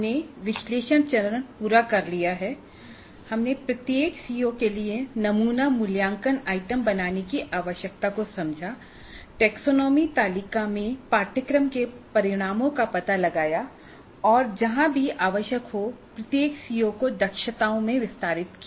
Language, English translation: Hindi, We understood the need for creating sample assessment items for each one of the COs, locating the course outcomes in the taxonomy table and elaborating each COO into competencies wherever required